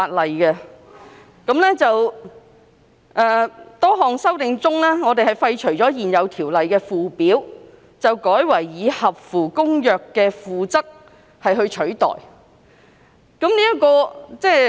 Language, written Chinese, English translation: Cantonese, 此外，政府亦提出多項修訂，建議廢除現有《條例》的附表，並代以《公約》的《附則 II》。, Besides the Government has also put forth various amendments proposing to repeal a Schedule to the existing Ordinance and substitute it with Annex II to the Convention